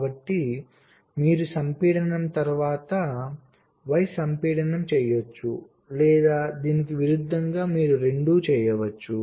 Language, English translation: Telugu, so you can do x compaction followed by y compaction or vice versa